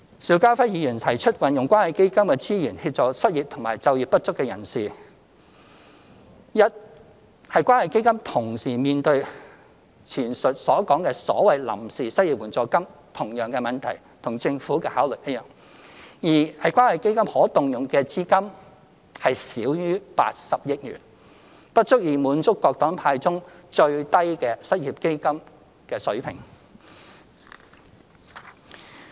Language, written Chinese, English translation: Cantonese, 邵家輝議員提出運用關愛基金的資源協助失業及就業不足人士，一是關愛基金同時會面對前述所講的所謂臨時失業援助金的同樣問題，與剛才所說政府的考慮一樣；二是關愛基金可動用資金少於80億元，不足以滿足各黨派建議中最低的失業基金水平。, Mr SHIU Ka - fai proposed to utilize the resources of the Community Care Fund to help the unemployed and underemployed . First the Community Care Fund will likewise face the same problem as that of the so - called temporary unemployment assistance as mentioned above requiring the Government to make the same consideration as I have explained earlier on . Second with less than 8 billion available the Community Care Fund is not sufficient to meet the minimum level of an unemployment fund proposed by various parties and groupings